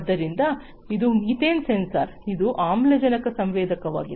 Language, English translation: Kannada, So, this is this methane sensor so this is this oxygen sensor